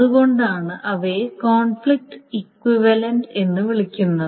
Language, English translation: Malayalam, So that is why they are called conflict equivalent